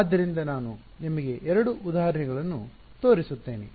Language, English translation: Kannada, So, we will take I mean I will show you two examples